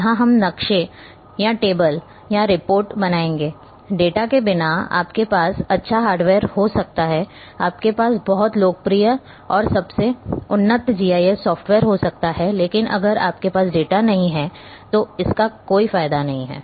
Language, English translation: Hindi, Here we will make maps, or tables or reports; without data you may be having good hardware you may be having very most popular and most advanced GIS software, but if you do not have the data it is no use